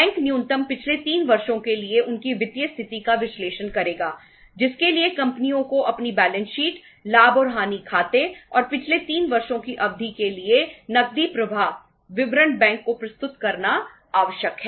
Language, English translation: Hindi, Bank will analyze their financial position for the minimum for the past 3 years for which the companies are required to submit the their balance sheet, profit and loss account, and cash flow statement for the period of past 3 years to the bank